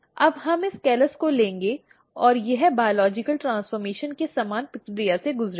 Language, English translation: Hindi, Now, we will take this callus and it will go through the process similar to that of the biological transformation